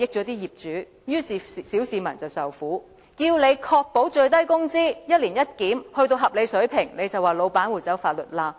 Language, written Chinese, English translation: Cantonese, 當我們要求當局確保最低工資一年一檢達到合理水平，當局就說老闆會走法律罅。, When we requested that the minimum wage be reviewed on an annual basis to adjust the rate to a reasonable level the authorities said that employers would exploit the loopholes in law